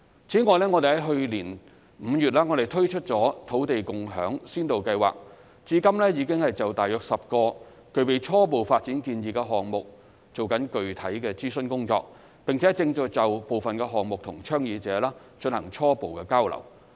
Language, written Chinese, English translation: Cantonese, 此外，我們在去年5月推出了土地共享先導計劃，至今已經就大約10個具備初步發展建議的項目進行具體的諮詢工作，並正就部分項目與倡議者進行初步交流。, Furthermore we introduced the Land Sharing Pilot Scheme in May last year . So far specific consultation has been conducted for about 10 cases with preliminary development proposals and initial dialogue with proponents on certain projects is underway